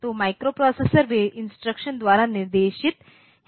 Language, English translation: Hindi, So, microprocessors they are guided by the instructions